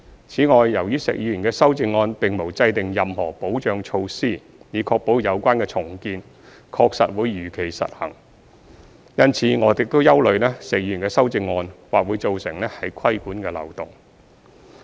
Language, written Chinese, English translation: Cantonese, 此外，由於石議員的修正案並無制訂任何保障措施，以確保有關的重建確實會如期實施，因此我們亦憂慮石議員的修正案或會造成規管的漏洞。, In addition since Mr SHEKs amendments did not introduce any safeguards to ensure that the redevelopment would actually be implemented as scheduled we are also concerned that Mr SHEKs amendments may create loopholes in regulation